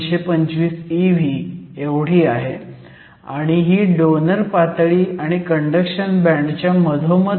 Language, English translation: Marathi, 225 electron volts right in the middle of the donor level and the conduction band